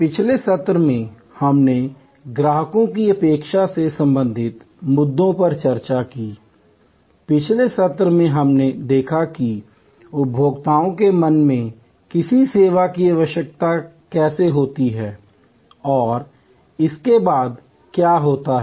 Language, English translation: Hindi, In the last session we discussed issues relating to customers expectation, in the last session we saw how the need of a service comes up in consumers mind and what happens there after